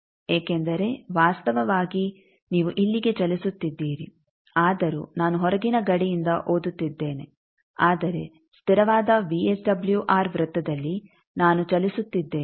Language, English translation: Kannada, Because actually your moving though I am reading from outer boundary, but on the constant VSWR circle I am moving